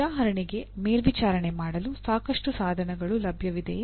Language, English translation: Kannada, And for example to even monitor, are there adequate tools available